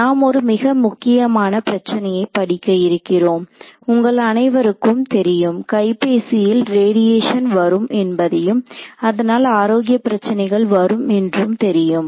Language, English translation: Tamil, And we are wanting to study a very important problem, all of us know that you know mobile phone radiation is a possible cause for concern health issues